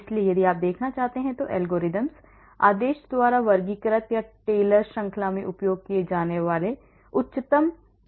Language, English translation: Hindi, so if you want to look at, so the algorithms, are classified by order or the highest derivative used in Taylor series